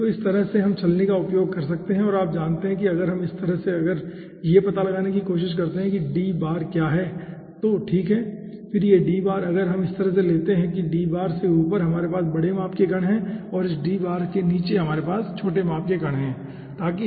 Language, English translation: Hindi, okay, so in that way we can sieve out and you know if in that way, if we try to find out what is d bar, okay, and that then this d bar, if we take in such a fashion, that d bar, we are having the bigger size particles and below this d bar we are having smaller size particles